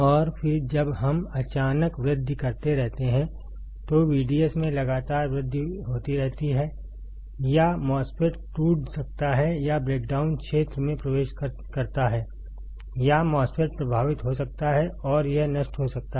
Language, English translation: Hindi, And then when we keep on increasing suddenly it shoots up after or continuous increase in the V D S and the MOSFET may get breakdown or enters a breakdown region or the MOSFET may get affected and it may get destroyed